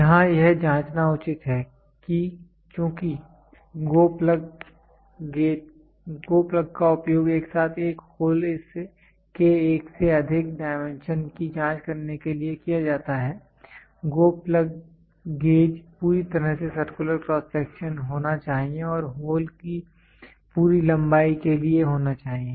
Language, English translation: Hindi, It is pertinent to check here that since the GO plug is used to check more than one dimension of a hole simultaneously, the GO plug gauge must be fully circular cross section and must be for full length of the hole